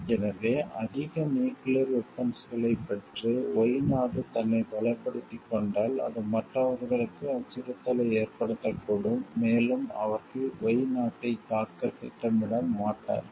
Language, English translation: Tamil, So, if the country Y has made itself strong by getting more nuclear weapons, that may give a threat perception to others and they will not be planning to attack country Y